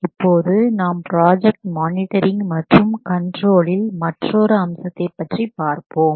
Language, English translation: Tamil, So, now let's see the another aspect of project monitoring and control